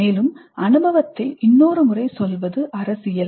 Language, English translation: Tamil, Further, the retelling of the experience is political